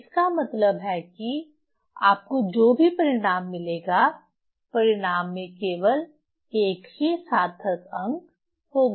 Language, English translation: Hindi, So, that means whatever result you will get in that result will have only one significant figure